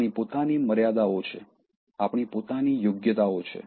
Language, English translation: Gujarati, We have our own limitations, we have our own merits